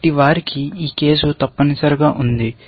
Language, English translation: Telugu, So, they have this case essentially